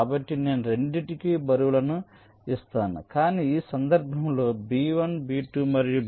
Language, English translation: Telugu, so i give a weight of two, but in this case b one, b two and b three